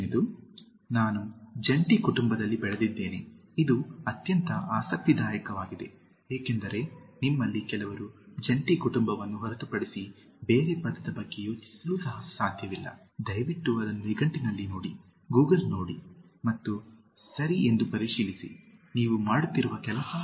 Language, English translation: Kannada, 7) I’ve been brought up in a joint family, is the most interesting one because, some of you cannot even think of another word other than joint family, please look it up on a dictionary, Google it and check whether is the right thing you are doing